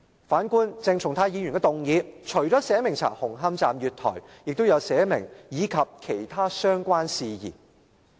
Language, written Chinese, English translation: Cantonese, 反觀鄭松泰議員的議案，除了寫明調查紅磡站月台，還寫明"以及其他相關事宜"。, On the other hand Dr CHENG Chung - tais motion provides for inquiring into the platform of Hung Hom Station and other related matters